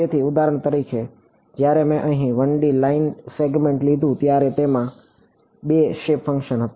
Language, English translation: Gujarati, So, for example, when I took the 1 D line segment over here this had 2 shape functions right